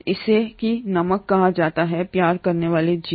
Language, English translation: Hindi, This is what is called as the salt loving organisms